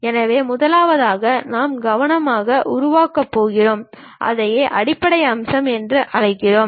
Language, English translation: Tamil, So, the first one what we are going to construct carefully that is what we call base feature